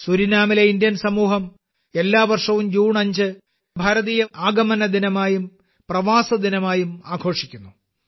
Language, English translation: Malayalam, The Indian community in Suriname celebrates 5 June every year as Indian Arrival Day and Pravasi Din